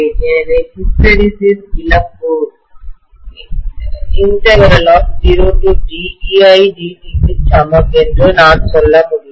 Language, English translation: Tamil, So I can say hysteresis loss is equal to integral EI DT from 0 to T